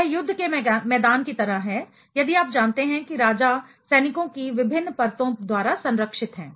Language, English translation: Hindi, It is just like a battlefield, if you are you know the kings are protected by the different layers of soldiers